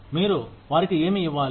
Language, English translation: Telugu, What do you need to give them